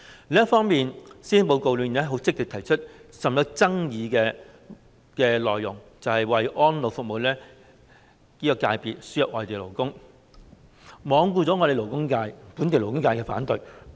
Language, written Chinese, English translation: Cantonese, 另一方面，施政報告很積極地提出甚具爭議的內容，那就是為安老服務界別輸入外地勞工，罔顧本地勞工界的反對聲音。, On the other hand the Policy Address has proactively raised the controversial issue of importing workers for the elderly care services sector in disregard of the opposition of the local labour sector